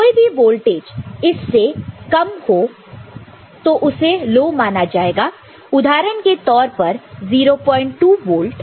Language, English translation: Hindi, Any voltage less than that will be treated as low, in that example 0